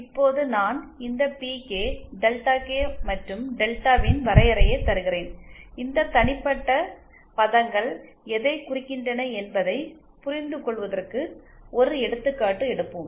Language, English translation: Tamil, Now I will just give the definition of this PK, Delta K and delta and we will take an example to understand what these individual terms mean